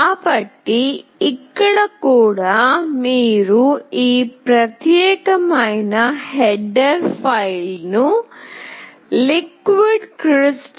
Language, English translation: Telugu, So, here also you need to include this particular header file that is LiquidCrystal